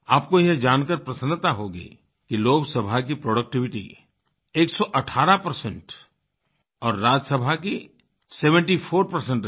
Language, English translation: Hindi, You will be glad to know that the productivity of Lok Sabha remained 118 percent and that of Rajya Sabha was 74 percent